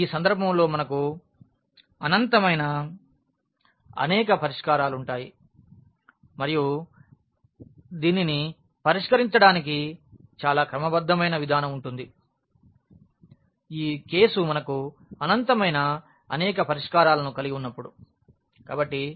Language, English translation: Telugu, So, in this case we will have infinitely many solutions and in terms again a very systematic approach to solve this, when we have this case of infinitely many solutions